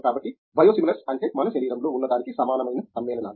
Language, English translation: Telugu, So, Biosimilars means the compounds that are similar to what we have in our body